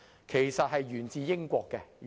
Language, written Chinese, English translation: Cantonese, 其實它沿自英國。, In fact it originated in the United Kingdom